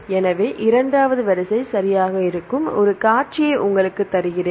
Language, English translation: Tamil, So, I will give you the one sequence where the second sequence right